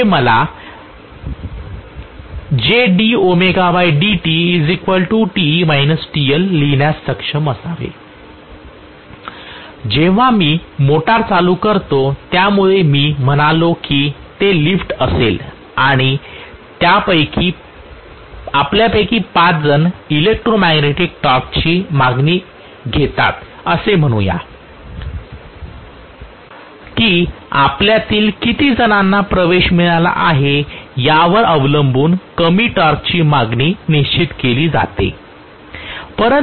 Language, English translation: Marathi, When I start the motor that is why I said if it is an elevator and let us say five of us get in the electromagnetic torque demand the low torque demand is fixed depending upon how many of us have got in